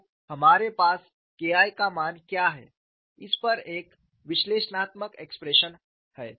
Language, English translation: Hindi, So, we have an analytical expression on what is the value of K 1